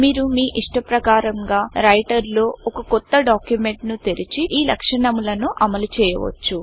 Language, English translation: Telugu, You can open a new document of your choice in Writer and implement these features